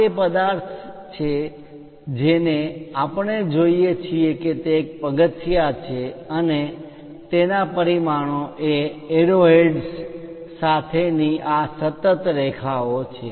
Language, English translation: Gujarati, This is the object what we are looking at is a stepped one and the dimensions are these continuous lines with arrow heads